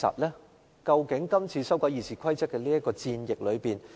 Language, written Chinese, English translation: Cantonese, 但是，今次修改《議事規則》是否如此呢？, Nevertheless are the current amendments to RoP proposed out of a good intention?